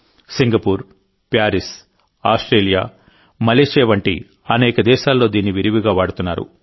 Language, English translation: Telugu, It is being used extensively in many countries like Singapore, Paris, Australia, Malaysia